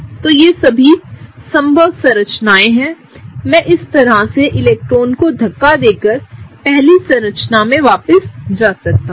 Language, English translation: Hindi, So, all of these are possible structures, I can go back to the first structure by pushing electrons this way